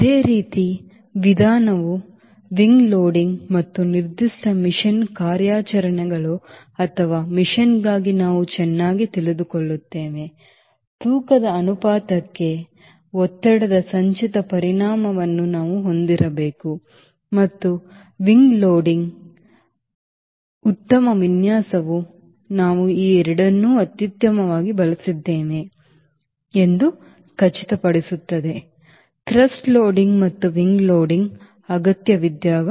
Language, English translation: Kannada, similar approach will also have on wing loading and knowing very well for a particular mission operations ah mission we need to have a cumulative effect of thrust towards ratio as well as wing loading, and a better design will ensure that we have optimally used both this thrust loading and wing loading smartly